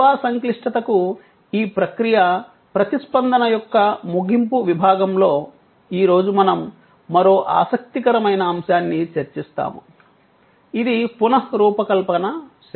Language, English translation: Telugu, Today, in the concluding section of this process responds to service complexity, we will discuss another interesting topic which is the redesigning services